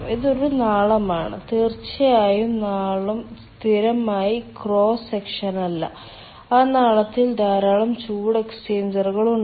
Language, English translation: Malayalam, of course the duct is of not constant cross section and in that duct there are number of heat exchangers